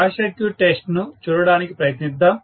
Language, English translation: Telugu, So, let us try to look at the short circuit test